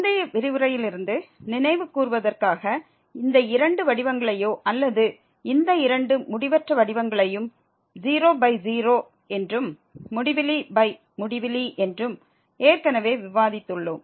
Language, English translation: Tamil, Just to recall from the previous lecture we have discussed already these two forms or rather these two indeterminate forms of the type as 0 by 0 and infinity by infinity